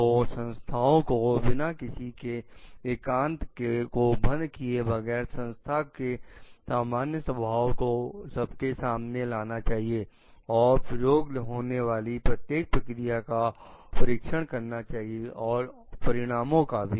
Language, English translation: Hindi, So, organization must, without violating privacy, make public the general nature of the problem, the procedure used to examine each and the consequences of the outcome